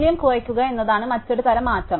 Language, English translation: Malayalam, The other type of change is to decrease the value